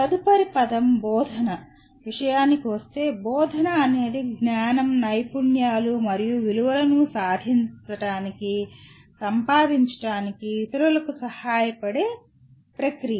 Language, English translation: Telugu, Coming to next word “teaching”, teaching is a process of helping others to acquire knowledge, skills and values